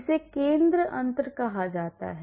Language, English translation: Hindi, This is called the center difference